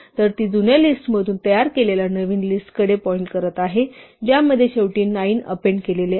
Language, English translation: Marathi, It is pointing to a new list constructed from that old list with a 9 appended to it at the end